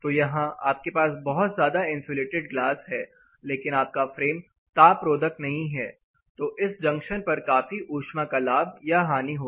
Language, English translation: Hindi, So, see you have a highly insulated glass here if the frame itself is not thermally insulated then you will have a lot of gains and losses happening at this particular juncture